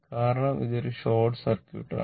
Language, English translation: Malayalam, Because, it is a short circuit it is a short circuit right